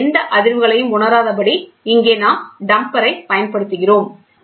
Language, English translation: Tamil, And here we use damper so that no vibration is felt